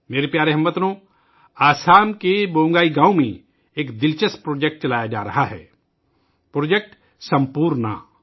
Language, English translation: Urdu, My dear countrymen, an interesting project is being run in Bongai village of Assam Project Sampoorna